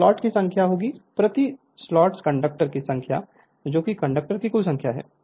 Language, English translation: Hindi, So, number of slots is equal to into number of conductors per slot that is the total number of conductor right